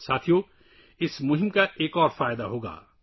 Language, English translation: Urdu, Friends, this campaign shall benefit us in another way